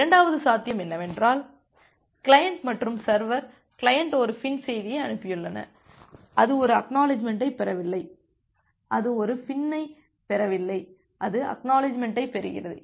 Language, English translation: Tamil, And the second possibility is that the client and the server, the client has sent a FIN message and it is not getting an ACK it is it is not getting a FIN it is just getting the ACK